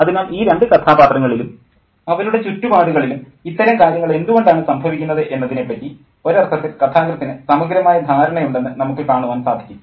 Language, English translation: Malayalam, So we can see that the narrative has to thorough understanding in a sense about why these things seem to be, you know, happening in and around these two characters